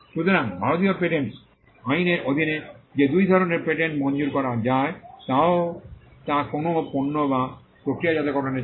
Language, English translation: Bengali, So, the two kinds of patents broadly that can be granted under the Indian patents act are either for a product or for a process